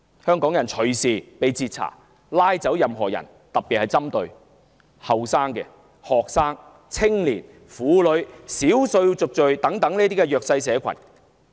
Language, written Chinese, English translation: Cantonese, 他們隨時截查香港人，帶走任何人，特別針對年青學生、青年、婦女、少數族裔等弱勢社群。, They can stop and search Hongkongers anytime and take any person away . Particularly targeted are the disadvantaged such as young students young people women and members of the ethnic minorities